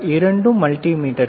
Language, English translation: Tamil, Both are multimeters